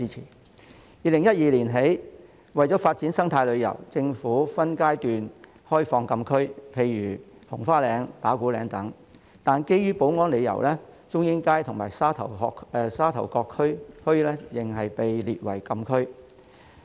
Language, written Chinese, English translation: Cantonese, 自2012年起，政府為了發展生態旅遊，分階段開放禁區，例如紅花嶺和打鼓嶺等，但基於保安理由，中英街及沙頭角墟仍被列為禁區。, Since 2012 the Government has opened closed areas such as Robins Nest and Ta Kwu Ling in stages to develop ecotourism . However for security reasons Chung Ying Street and Sha Tau Kok Town are still classified as closed areas